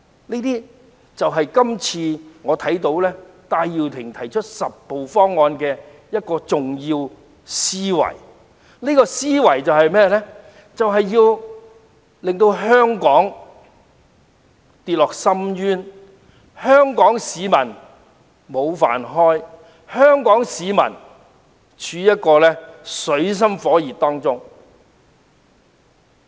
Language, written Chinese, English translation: Cantonese, 這些就是我看到戴耀廷今次提出"十步方案"的重要思維，務求令香港跌落深淵，弄丟香港市民的"飯碗"，要香港市民處於水深火熱之中。, These are the core ideas I note from the 10 - step plan floated by Benny TAI this time around which seeks to plunge Hong Kong into an abyss and throw members of the Hong Kong public out of job leaving them in dire straits